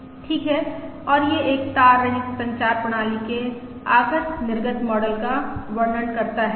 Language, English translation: Hindi, Alright, and this describe the input output model of a wireless communication system